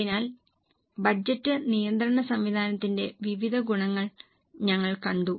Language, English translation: Malayalam, So, we have seen various advantages of budgetary control system